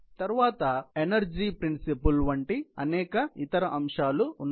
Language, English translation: Telugu, Then there are many other aspects, like energy principle